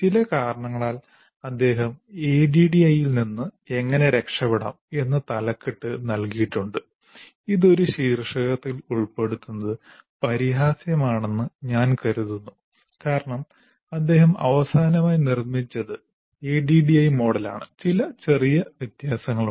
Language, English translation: Malayalam, For some reason he has put the title like How to get away from Addy, which is I consider ridiculous to put in a title because what he finally produced is Adi model with some minor variants of this